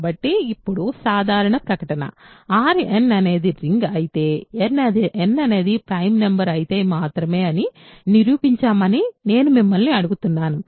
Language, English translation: Telugu, So now, I am asking you to prove the general statement R n is a ring if and only if n is a prime number